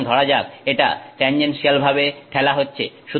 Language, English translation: Bengali, So, let it is getting pushed tangentially